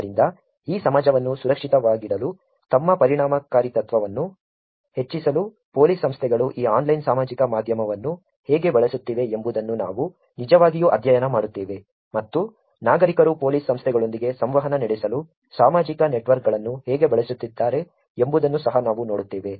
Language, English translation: Kannada, So, we will actually study how police organizations are using this online social media for increasing their effectiveness of keeping this society safely and we will also look at how citizens have beem using social networks to interact with police organizations